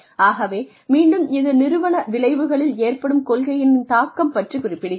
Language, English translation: Tamil, So again, this talked about, the influence of policy on organizational outcomes